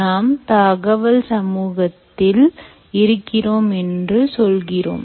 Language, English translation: Tamil, so when you say we leave in this information society, right